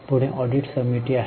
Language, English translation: Marathi, Who are auditors